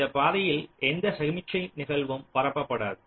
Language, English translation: Tamil, so no signal event would be propagated along this path